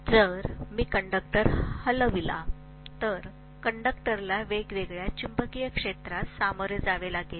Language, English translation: Marathi, If I move a conductor, the conductor will face varying magnetic field